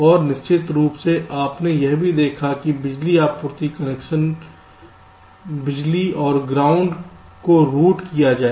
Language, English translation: Hindi, and of of course, you also looked at how to route the power supply connections, power and ground